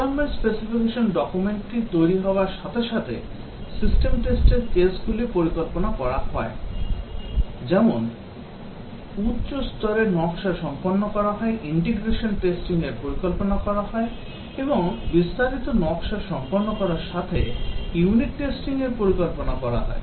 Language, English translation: Bengali, As the requirements specification document is developed the system test cases are planned, as the high level design is done the integration testing is planned, and as the detailed design is done the unit testing is planned